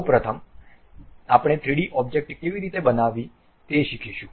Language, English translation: Gujarati, First of all we will learn how to construct a 3D object ok